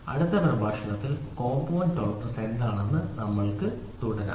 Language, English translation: Malayalam, So, we will continue it in the next lecture what is compound tolerance and continue